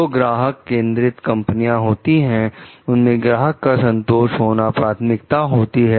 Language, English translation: Hindi, In the customer oriented companies, the customer satisfaction is the main objective